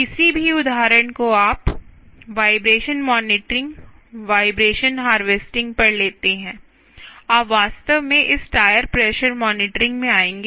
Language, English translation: Hindi, any example you take on, ah, vibration monitoring, vibration, ah harvesting monitoring, you will actually come across this tire pressure monitoring